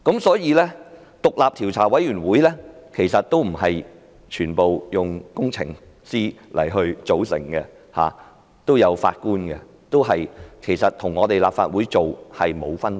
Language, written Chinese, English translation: Cantonese, 所以，獨立調查委員會也不是全部由工程師組成，成員也包括法官，跟立法會的做法沒有分別。, Therefore not even the Commission is fully made up of engineers as its members also include a Judge which is no different from the practice adopted by the Legislative Council